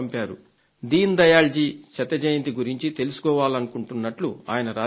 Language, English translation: Telugu, He has written that he wants to know about the birth centenary of Dindayal ji